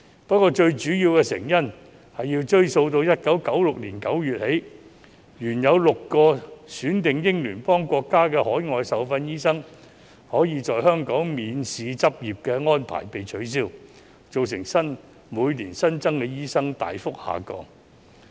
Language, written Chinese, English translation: Cantonese, 不過，最主要的成因要追溯到1996年9月起，原有6個選定英聯邦國家的海外受訓醫生可在香港免試執業的安排被取消，造成每年新增醫生大幅下降。, The main reason can be traced back to September 1996 when the arrangement permitting overseas - trained doctors from six selected Commonwealth countries to practise in Hong Kong examination - free was abolished resulting in a sharp decline in the new supply of doctors every year